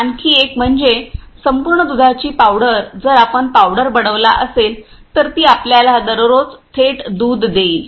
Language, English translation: Marathi, Another one is whole milk powder which directly if we the constituted that powder, it will give the directly the milk which we are taking in day to day life